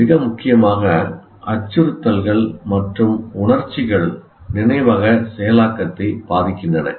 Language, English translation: Tamil, And most importantly, threats and emotions affect memory processing